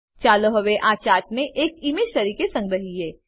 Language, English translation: Gujarati, Let us now save this chart as an image